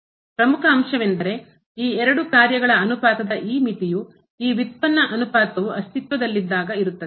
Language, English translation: Kannada, The important point was that this limit of the ratio of these two functions exist when the ratio of this derivative of the